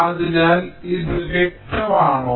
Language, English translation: Malayalam, thats pretty obvious